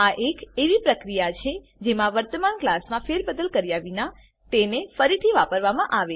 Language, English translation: Gujarati, It is the process of reusing the existing class without modifying them